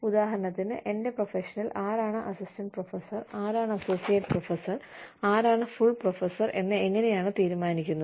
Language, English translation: Malayalam, For example, in my profession, how do we decide, you know, who becomes an assistant professor, and who becomes an associate professor, and who becomes a full professor